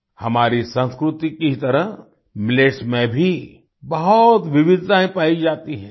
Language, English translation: Hindi, In millets too, just like our culture, a lot of diversity is found